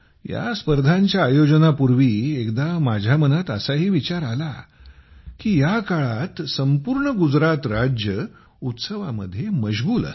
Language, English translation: Marathi, Before organizing these games, once it came to my mind that at this time the whole of Gujarat is involved in these festivals, so how will people be able to enjoy these games